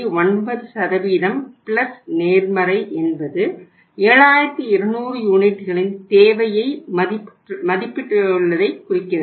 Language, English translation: Tamil, 9% that is plus positive means we estimated the demand 7200 units